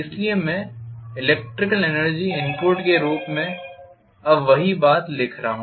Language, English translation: Hindi, So I am writing the same thing now as the electrical energy input